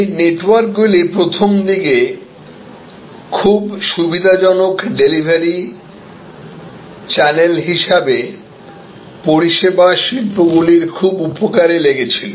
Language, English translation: Bengali, These networks originally were very beneficial to services industries as another very convenient channel for delivery